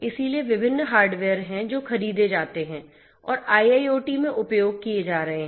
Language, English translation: Hindi, So, there are different hardware that are procured and are being used in IIoT